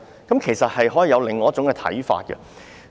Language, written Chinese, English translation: Cantonese, 就此，其實可以有另一種看法。, Regarding this there can actually be another perspective